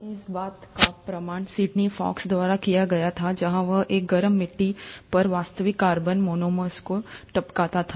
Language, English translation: Hindi, And the proof of this was then supplied by Sydney Fox where he went about dripping actual organic monomers onto a hot clay